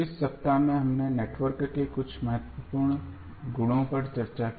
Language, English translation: Hindi, So, in this week we discussed few important properties of the network